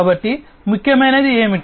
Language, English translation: Telugu, So, what is important